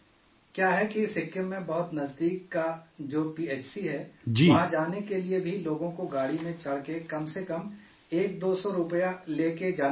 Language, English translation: Urdu, It was a great experience Prime Minister ji…The fact is the nearest PHC in Sikkim… To go there also people have to board a vehicle and carry at least one or two hundred rupees